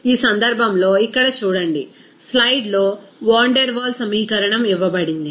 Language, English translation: Telugu, So, in this case, see here, Van der Waal equation is given in the slide